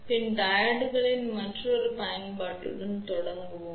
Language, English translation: Tamil, So, let us start with the another application of PIN diodes